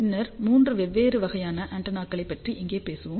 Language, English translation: Tamil, Now, in the next lecture, I will talk about various antennas